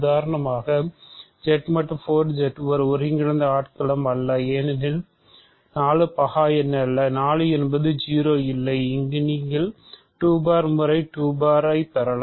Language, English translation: Tamil, For example, Z mod 4 Z is not an integral domain because 4 is not prime and 4 is not 0, there you can get 2 bar times 2 bar is 0